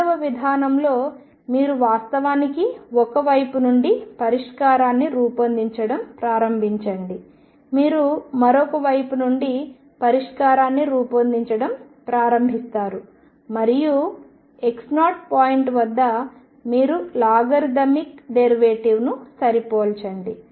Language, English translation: Telugu, In method 2, you actually start building up the solution from one side you start building up the solution from the other side and you match a logarithmic derivative at some point x 0 once that matches that gives you the Eigen value